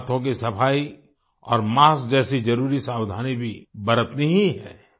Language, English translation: Hindi, We also have to take necessary precautions like hand hygiene and masks